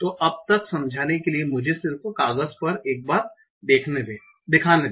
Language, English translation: Hindi, So for explaining let me just show it on paper once